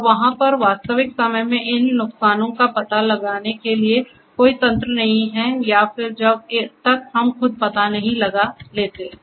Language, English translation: Hindi, And there is no mechanism over there to basically detect these losses in real time or and then, because until unless we detect